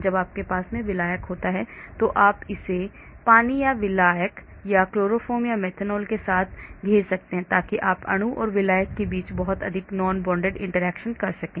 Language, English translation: Hindi, when you have solvent you may surround it with water or solvent or chloroform or methanol so you are going to have lot of non bonded interaction between the molecule and the solvent